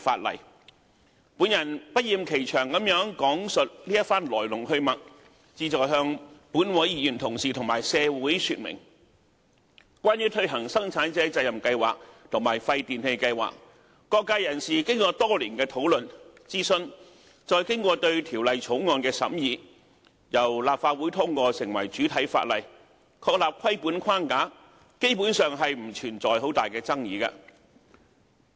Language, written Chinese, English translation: Cantonese, 我不厭其詳地講述這番來龍去脈，旨在向立法會議員同事和社會說明，關於推行生產者責任計劃和廢電器計劃，各界人士經過多年的討論、諮詢，並對《條例草案》作出審議，由立法會通過成為主體法例，確立規管框架，基本上不存在很大的爭議。, I have told the full story in great detail because I wish to illustrate to Members of this Council and society that insofar as the implementation of PRSs and WPRS is concerned the Bill had been scrutinized by people from all walks of life after years of discussion and consultation before it was passed by the Legislative Council for enactment into primary legislation and the establishment of a regulatory framework . Hence there are basically no major disputes